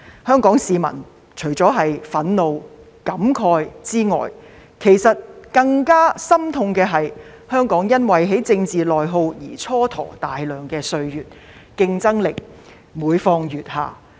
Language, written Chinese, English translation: Cantonese, 香港市民除了憤怒和感慨外，其實感到更加心痛的，是香港因為政治內耗而蹉跎大量歲月，我們的競爭力每況愈下。, Hong Kong people apart from feeling furious and sorrowful actually find it more disheartening to notice the waste of a lot of time due to internal political conflicts and the weakening of our competitiveness